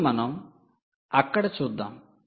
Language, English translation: Telugu, now let us look at